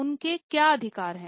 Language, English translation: Hindi, What rights they have